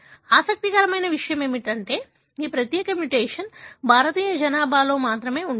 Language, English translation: Telugu, What is interesting is that this particular mutation is present only in the Indian population